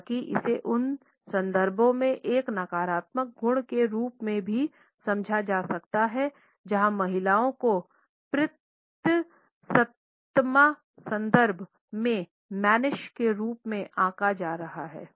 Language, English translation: Hindi, However, it can also be understood as a negative quality in those context where women are being judged as mannish in patriarchal context